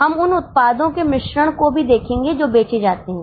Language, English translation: Hindi, We will also look at the mix of products which are sold